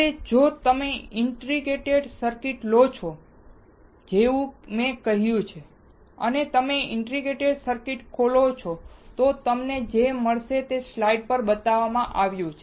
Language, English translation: Gujarati, Now, if you take the integrated circuit like I said, and you open the integrated circuit, what you will find, is what is shown in the slide